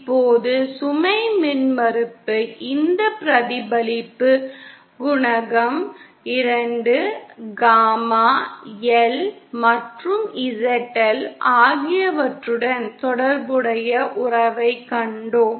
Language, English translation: Tamil, Now this concept of load impedance this reflection coefficient, we saw the relationship that relates the 2, gamma L and ZL